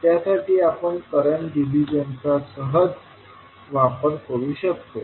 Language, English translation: Marathi, So for that we can simply utilize the current division